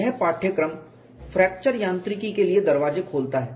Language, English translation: Hindi, This course open the door way for fracture mechanics